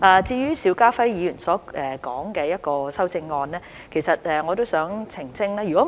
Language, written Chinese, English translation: Cantonese, 至於邵家輝議員所提的修正案，我亦想作澄清。, I would like to make some clarifications on the amendments proposed by Mr SHIU Ka - fai